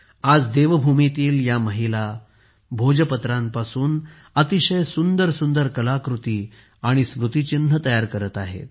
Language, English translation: Marathi, Today, these women of Devbhoomi are making very beautiful artefacts and souvenirs from the Bhojpatra